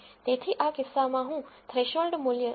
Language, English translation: Gujarati, So, in this case I am going to set a threshold value of 0